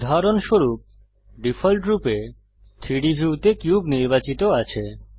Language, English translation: Bengali, For example, the cube is selected by default in the 3D view